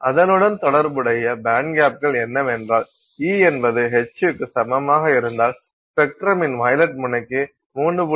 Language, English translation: Tamil, So, the corresponding band gaps are if you do e equals H new you will get for the violet end of the spectrum about 3